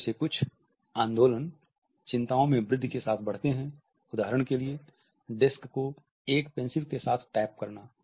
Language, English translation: Hindi, Some of these movements increase with increase anxiety for example, tapping the disk with a pencil